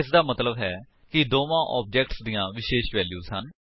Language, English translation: Punjabi, This means that the two objects have unique values